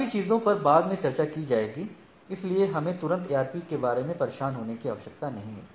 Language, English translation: Hindi, So, your so, ARP things will be discussing later so, we need not immediately bother about the ARP